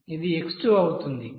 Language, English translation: Telugu, What is the x1 value